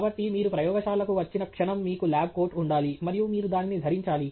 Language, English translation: Telugu, So, the moment you come to a lab, you should have a lab coat and you should put it on